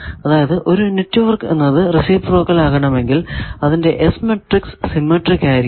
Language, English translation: Malayalam, Reciprocal means we have already found that if the network is reciprocal its S matrix should be symmetric